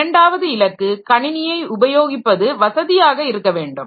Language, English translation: Tamil, The second goal is to make the computer system convenient to use